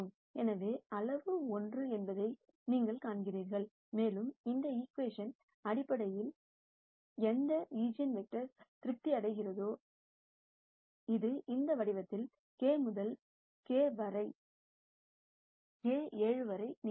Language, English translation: Tamil, So, you see that the magnitude is 1 and also this equation is basically satisfied by any eigenvector which is of this form k to k by 7